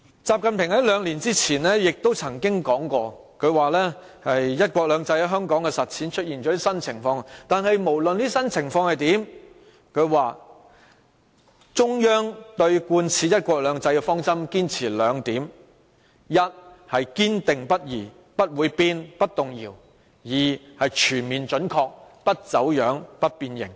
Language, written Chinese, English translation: Cantonese, 習近平在兩年前曾說過，"一國兩制"在香港的實踐出現了新情況，但無論出現甚麼新情況，中央對貫徹"一國兩制"的方針仍會堅持兩點，一是堅定不移，不會變、不動搖，二是全面準確，不走樣、不變形。, XI Jinping said two years ago that a new situation had emerged in connection with the implementation of one country two systems in Hong Kong . However despite new situations the Central Government would unswervingly implement the policy of one country two systems and made sure that it was fully applied in Hong Kong without being bent or distorted